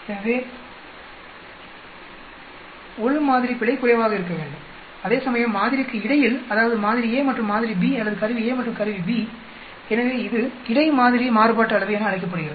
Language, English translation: Tamil, So, within sample error should be less whereas, between sample that means sample a and sample b or instrument a and instrument b so that is called between sample variance